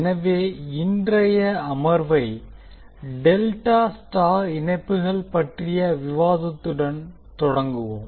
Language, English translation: Tamil, So today, we will start our session with delta star connection